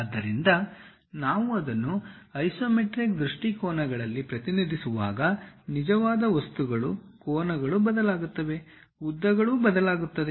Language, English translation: Kannada, So, they true objects when we are representing it in isometric views; the angles changes, the lengths changes